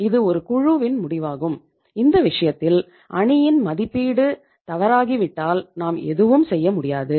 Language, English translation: Tamil, It was a team decision and if the teamís assessment has gone wrong in that case you canít do anything